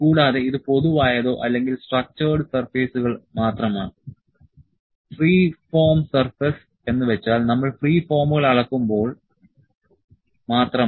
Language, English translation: Malayalam, And, this is just the general or the structured surfaces, free form surface are when we just measure the free forms